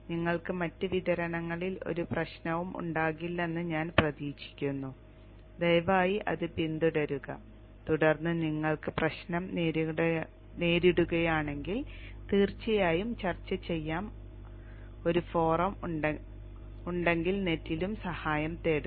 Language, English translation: Malayalam, I hope that you will not have a problem in other distributions too, kindly follow it and then look into help on the net too if you run into problems and there is a forum to discuss